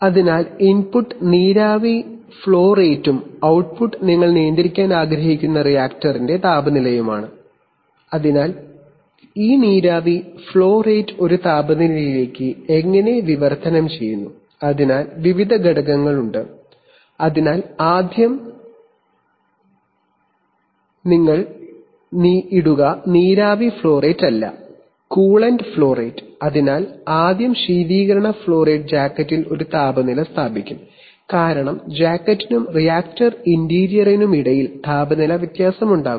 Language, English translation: Malayalam, So the input is the steam flow rate and the output is the temperature of the reactor, which you want to control, so between, so how does these steam flow rate translate into a temperature, so there are various stages, so for example first if you put, not steam flow rate, coolant flow rate, so first the coolant flow rate will establish a temperature in the jacket then because there will be temperature difference between the, between the jacket and the reactor interior